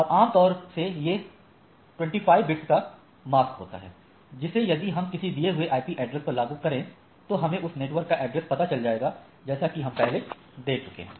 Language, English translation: Hindi, And this is typically a mask of 25 bit and if I mask it out and we get that IP address that already you have seen right